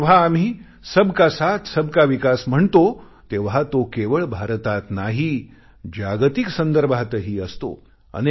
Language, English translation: Marathi, And when we say Sabka Saath, Sabka Vikas, it is not limited to the confines of India